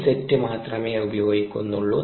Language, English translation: Malayalam, only one set is used